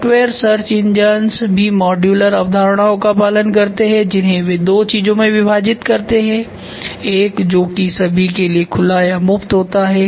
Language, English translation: Hindi, Software search engines follow modular concepts they divided into two things one is called as it is open to all